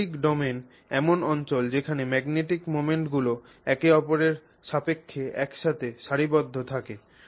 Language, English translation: Bengali, The magnetic domain is the region over which the magnetic moments are cooperatively aligning with respect to each other